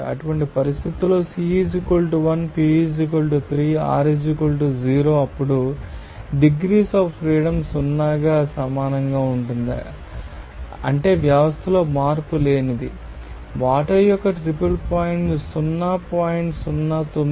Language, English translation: Telugu, Since under such conditions C = 1, P = 3, r = 0, then degrees of freedom will be equal to 0 that means system will be invariant, the triple point of water will be is equal to 0